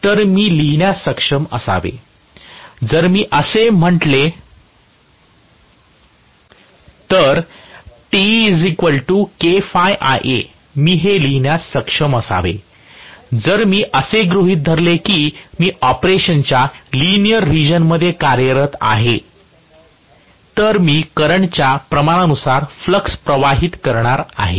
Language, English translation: Marathi, So, I should be able to write, if I say Te equal to K phi Ia, I should be able to write this as, if I assume that I am operating in the linear region of operation, I am going to have the flux proportional to the current